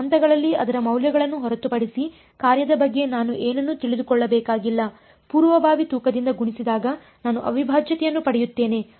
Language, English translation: Kannada, I do not need to know anything about the function except its values at some points, multiplied by precomputed weights I get the integral